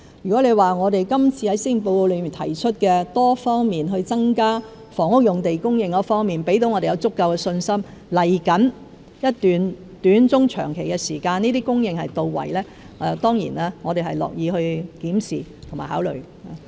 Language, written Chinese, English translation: Cantonese, 如果今次在施政報告中提出多方面增加房屋用地供應的措施能給我們足夠的信心，在未來一段短、中、長期的時間，這些供應到位，我們當然樂意檢視和考慮。, If the multi - pronged measures stated in the Policy Address for increasing housing sites can give us the confidence of an adequate supply in the short medium and long term we will certainly be happy to review the situation and consider the proposal